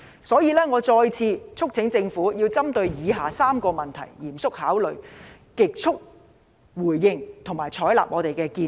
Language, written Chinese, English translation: Cantonese, 因此，我再次促請政府針對以下4個問題嚴肅考慮，極速回應，並採納我們的建議。, Therefore I urge the Government to seriously consider the following four issues provide a quick response and adopt our suggestions